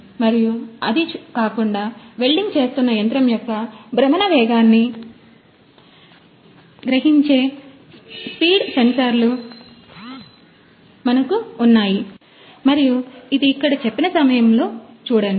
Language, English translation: Telugu, And apart from that, we have the speed sensors which senses the rotational speed of the machine doing the welding and the covers